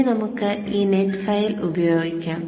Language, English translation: Malayalam, Now we can use this net file